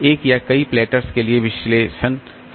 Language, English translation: Hindi, The analysis is true for one or many platters